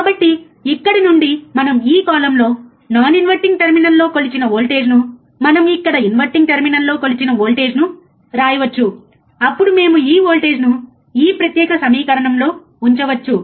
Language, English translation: Telugu, So, from here we can write whatever the voltage we measured in this column, at non inverting terminal whatever voltage we have measured here in the in terminal which is inverting, then we can put this voltage in this particular equation which is your I B plus